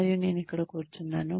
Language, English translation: Telugu, And, I am sitting here